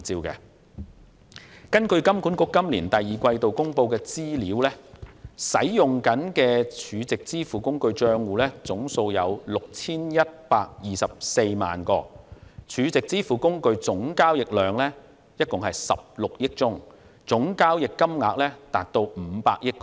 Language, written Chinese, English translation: Cantonese, 根據金管局今年第二季度公布的資料，使用中的 SVF 帳戶總數為 6,124 萬個 ，SVF 總交易量為16億宗，總交易金額達500億港元。, According to information released by HKMA in the second quarter of this year the total number of active SVF accounts is 61.24 million the total number of SVF transaction is 1.6 billion and the total transaction amount is 50 billion